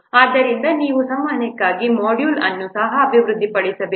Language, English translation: Kannada, So you have to develop also a module for communication